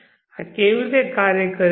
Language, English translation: Gujarati, how does this work